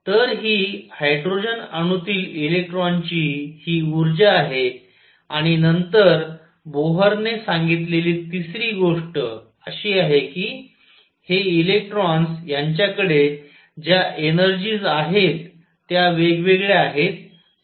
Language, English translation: Marathi, So, this is the energy of an electron in hydrogen atom and then the third thing that Bohr said is that these electrons that have energies which are different, so minus 13